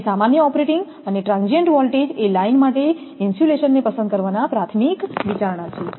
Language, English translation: Gujarati, So, normal operating and transient voltages is as a primary consideration in selecting the insulation for a line